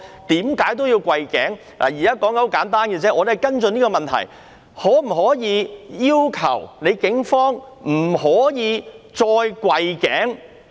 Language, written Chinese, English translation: Cantonese, 現在的要求很簡單，我們要跟進這個問題：可否要求警方不容許再跪頸？, The request now is very simple . We wish to follow up this question can we ask the Police not to allow kneeling on the neck anymore?